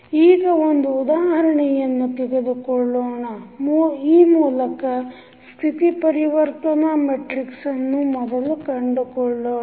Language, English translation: Kannada, Now, let us take an example and try to find out the state transition matrix first